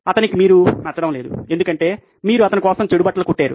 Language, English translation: Telugu, He is not going to like you because you have stitched bad fitting clothes for him